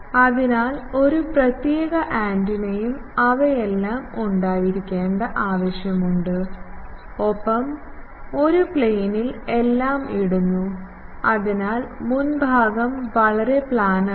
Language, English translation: Malayalam, So, there is no need to have a separate antenna and all those things and on a ground plane everyone is put; so, the front part is very planar